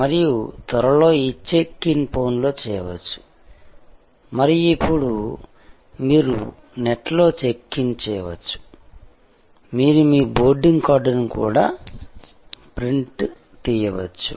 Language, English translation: Telugu, And then soon, these check in could be done on phone and now, you can do the check in on the net; you can even print out your boarding card